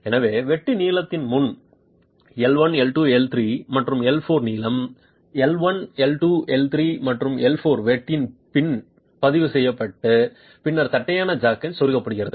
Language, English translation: Tamil, So, lengths L1, L2, L3, L4 before cut, length L1, L2, L4 after cut are recorded and then the flat jack is inserted